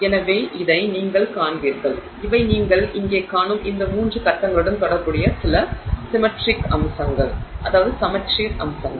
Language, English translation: Tamil, So, this is what you will see and these are some of the you know symmetry aspects associated with these three phases that you see here